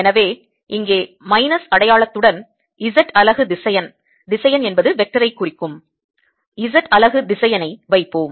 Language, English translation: Tamil, so let us put z unit vector with the minus sign here